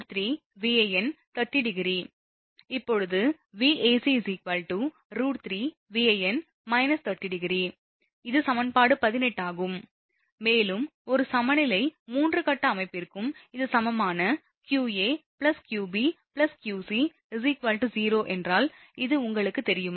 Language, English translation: Tamil, Now similarly your Vac is equal to, I just showed you root 3 Van angle minus 30 degree this is equation 18, also for a balanced 3 phase system, if it is balanced qa plus qb plus qc is equal to 0, this is known to you right